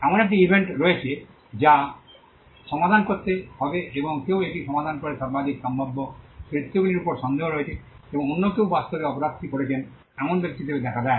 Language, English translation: Bengali, There is an event which has to be solved and somebody solves it there is a suspicion on the most possible characters and somebody else turns out to be the person who actually did the crime